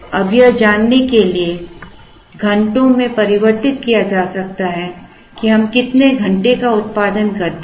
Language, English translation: Hindi, Now, this can be converted into hours to know, what is the number of hours, that we produce